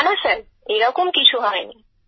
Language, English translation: Bengali, No no Sir